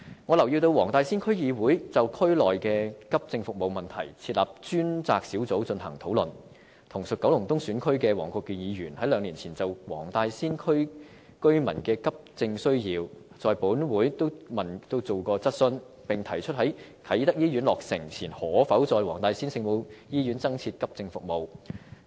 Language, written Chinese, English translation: Cantonese, 我留意到黃大仙區議會就區內的急症服務問題設立專責小組進行討論，而同屬九龍東選區的黃國健議員兩年前亦曾就黃大仙區居民的急症需要在本會提出質詢，並提出在啟德醫院落成前可否在黃大仙聖母醫院增設急症服務。, I notice that the Wong Tai Sin District Council has set up an ad hoc group to discuss the AE services in the district while Mr WONG Kwok - kin also belonging to the Kowloon East Constituency likewise raised a question in this Council in relation to the demand of residents of the Wong Tai Sin District for AE services two years ago and suggested whether it was feasible to provide AE services in the Our Lady of Maryknoll Hospital in Wong Tai Sin before the commissioning of the Kai Tak Hospital